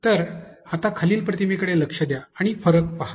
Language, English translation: Marathi, So, now, look into the following image and see the difference